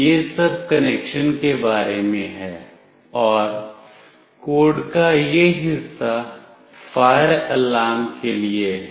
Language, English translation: Hindi, This is all about the connection and this part of the code is for the fire alarm